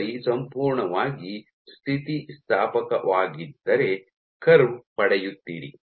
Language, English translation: Kannada, If the sample was perfectly elastic you would get a curve